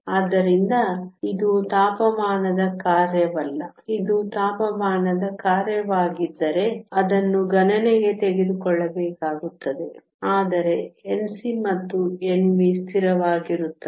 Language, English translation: Kannada, So, it is not a function of temperature; if it were a function of temperature that will also have to be taken into account, but N c and N v are constant